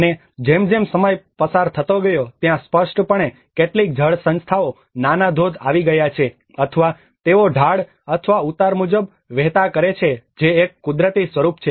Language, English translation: Gujarati, \ \ \ And as the time passed on obviously there has been some water bodies, small waterfalls or they keep channeling it as per the slope and the gradient which has been a natural form